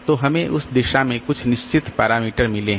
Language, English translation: Hindi, So, we have got certain parameters in that direction